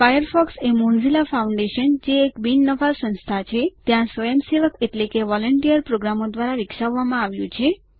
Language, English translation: Gujarati, Firefox has been developed by volunteer programmers at the Mozilla Foundation, a non profit organization